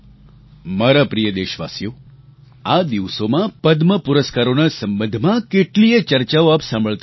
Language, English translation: Gujarati, My dear countrymen, these days you must be hearing a lot about the Padma Awards